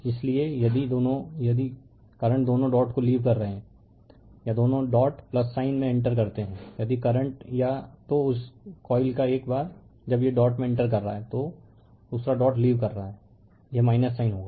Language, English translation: Hindi, So, that is why if the if the current leaves both the dot or enters both the dot plus sign, if the current either of this coil once it is entering the dot another is leaving the dot it will be minus sign right